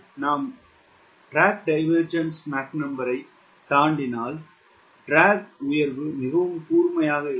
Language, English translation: Tamil, if we cross beyond m d d, the drag rise will be very, very sharp